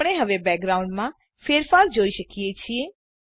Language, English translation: Gujarati, Now we can see the change in the background